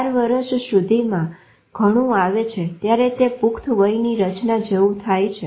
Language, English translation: Gujarati, By the time it comes to 4 year, it is becoming like an adult pattern